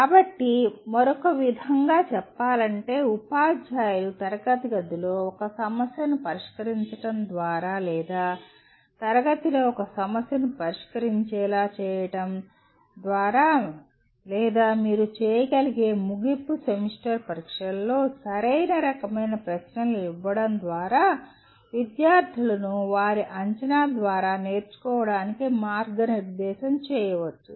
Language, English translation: Telugu, So putting it in another way, teachers can guide students to learn through their assessment by working out a problem in the class or making them work out a problem in the class or giving the right kind of questions in the end semester exams you are able to guide the students to learn well